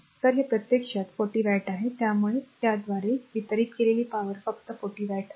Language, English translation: Marathi, So, it is actually 40 watt; so power delivered by this only is 40 watt right